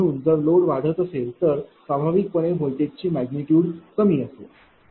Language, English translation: Marathi, So, if load increases then naturally voltage magnitude will be low